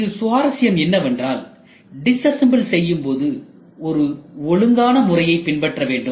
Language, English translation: Tamil, So, is pretty interesting when you disassemble you should be very systematic